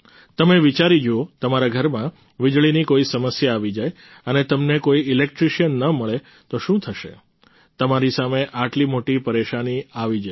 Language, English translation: Gujarati, Think about it, if there is some problem with electricity in your house and you cannot find an electrician, how will it be